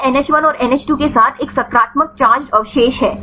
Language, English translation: Hindi, It’s a positive charges residue with NH1 and NH2